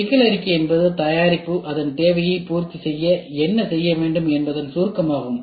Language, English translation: Tamil, The problem statement is an abstraction of what the product is supposed to do to meet its need